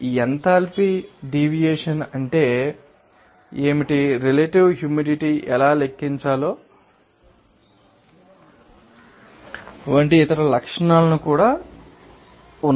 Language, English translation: Telugu, And also there are other properties like you know, what would be the enthalpy deviation, what is the relative humidity how to calculate